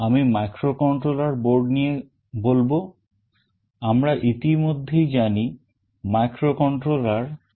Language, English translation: Bengali, I will introduce microcontroller boards, we already know what a microcontroller is